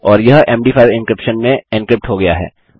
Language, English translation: Hindi, And this is encrypted to MD5 encryption